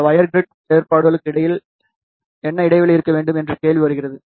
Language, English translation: Tamil, Then the question comes what should be the spacing between these wire grid arrangement